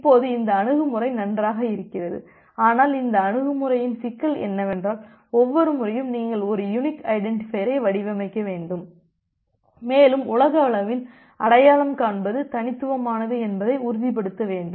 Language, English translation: Tamil, Now this approach looks good, but the problem with this approach is that every time you need to design a unique identifier and you need to ensure that identifies is unique globally